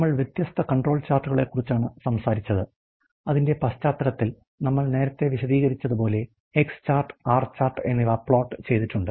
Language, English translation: Malayalam, We were talking about the different control charts and in context of that we have float the X chart and R chart as illustrated earlier